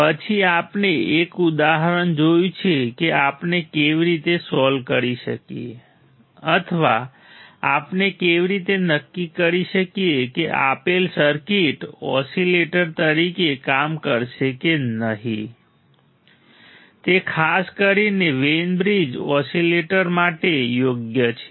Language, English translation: Gujarati, Then we have seen an example how we can solve or how we can determine whether a given circuit will work as an oscillator or not that to particularly Wein bridge oscillator right